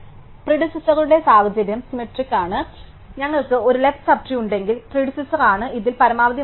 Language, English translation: Malayalam, So, the situation for the predecessor is symmetric, so if we have a left sub tree, then the predecessor is the maximum value in this